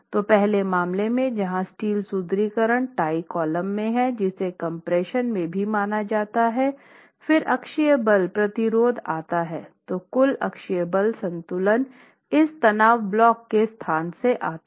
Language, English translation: Hindi, So, in the first case where the steel reinforcement in the Thai column which is in compression is also considered, then the axial force resistance, the total axial force equilibrium comes from the two, the location of this stress block